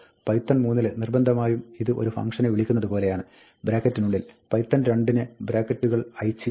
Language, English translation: Malayalam, Python 3 insists on it being called like a function, with brackets; in python 2 the brackets are optional